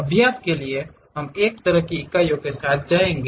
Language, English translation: Hindi, For practice we will go with one kind of system of units